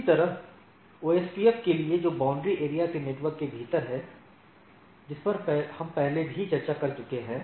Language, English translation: Hindi, Similarly, for OSPF which is within the border area network; which we have already discussed